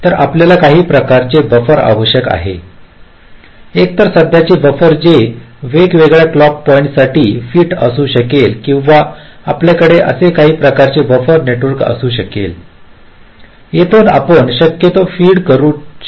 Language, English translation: Marathi, so you need some kind of a buffer, either a current buffer which can be fit to a number of different clock points, or you can have a some kind of a network of buffers like this, so from here you can possibly feed